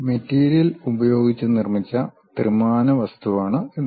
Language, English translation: Malayalam, It is a three dimensional object made with material